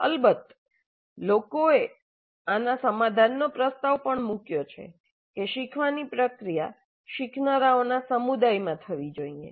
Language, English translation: Gujarati, Because people have proposed a solution to this also that learning process should occur within a community of learners